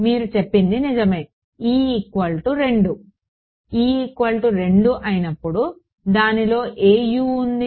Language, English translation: Telugu, You are right e is equal to 2; e is equal to 2 has which Us in it